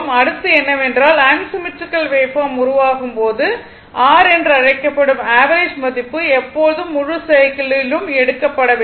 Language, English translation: Tamil, So, next is that suppose in the case of unsymmetrical wave form the the your what you call the average value must always be taken over the whole cycle